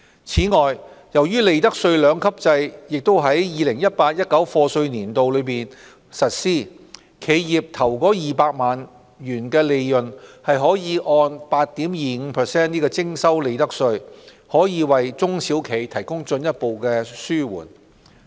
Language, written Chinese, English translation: Cantonese, 此外，由於利得稅兩級制亦於 2018-2019 課稅年度起實施，企業首200萬元的利潤可按 8.25% 徵收利得稅，這可進一步紓緩中小企的負擔。, Also under the two - tiered profits tax rates regime to be implemented in the year of assessment 2018 - 2019 the first 2 million of profits earned by a company will be taxed at 8.25 % . This will further alleviate the burden on small and medium enterprises